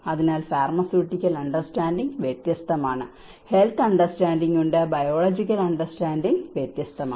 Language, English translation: Malayalam, So, there is pharmaceutical understanding is different, there is a health understanding, there is a biological understanding is different